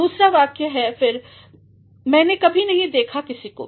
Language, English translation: Hindi, ’ The second sentence again ‘I have never seen nobody